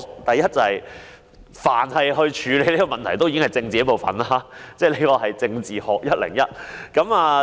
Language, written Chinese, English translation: Cantonese, 第一，處理這些問題已經是政治的一部分，這是"政治學 101"。, First the handling of these issues is already part of politics and this is Politics 101